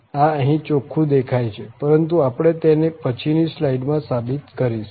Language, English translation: Gujarati, This is clearly visible here too but we will formally prove in the next slide